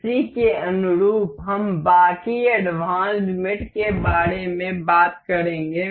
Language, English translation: Hindi, In line with that, we will talk about rest of the advanced mate